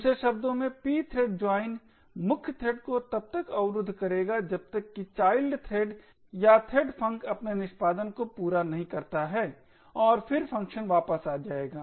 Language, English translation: Hindi, In other words, the pthread joint would block the main thread until the child thread or the threadfunc completes its execution and then the function would return